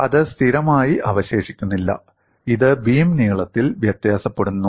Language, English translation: Malayalam, It is not remaining constant; it is varying along the length of the beam